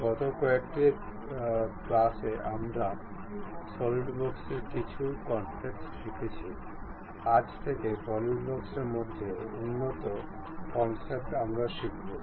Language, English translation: Bengali, In last few classes, we learned some of the concepts in Solidworks; advanced concepts in solidworks from today onwards, we will learn it